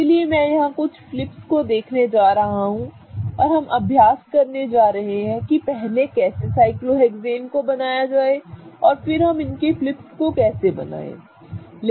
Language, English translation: Hindi, So, I'm going to look at a couple of flips here and we are going to practice how to draw cyclohexanes first, then we are going to practice how to draw the flips, okay